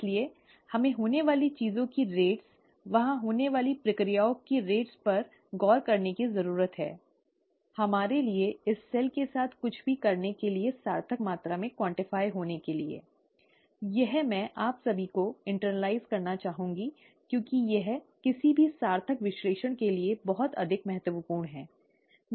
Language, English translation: Hindi, So, we need to look at rates of things happening, their rates of processes happening there, for us to be able to meaningfully quantify anything to do with this cell, okay, this I would like all of you to internalize because this is pretty much the key for any meaningful analysis